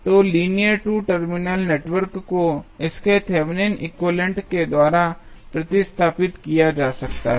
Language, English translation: Hindi, So, linear 2 terminal network can be replaced by its Thevenin equivalent